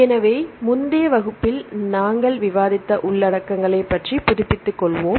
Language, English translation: Tamil, So, let us refresh ourselves regarding the contents we discussed in the previous class